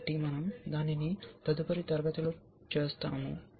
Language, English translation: Telugu, So, we will do that in the next class